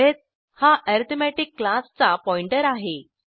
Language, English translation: Marathi, arith is the pointer to the class arithmetic